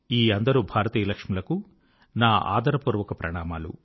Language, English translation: Telugu, I respectfully salute all the Lakshmis of India